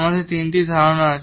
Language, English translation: Bengali, We have the three concepts